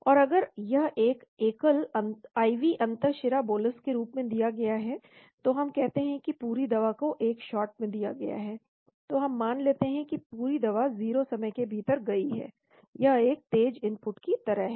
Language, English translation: Hindi, And if it is a single IV intravenous bolus administration, we say bolus the whole drug is introduced in one shot, so we assume it within the 0 time the entire drug goes, it is like a sharp input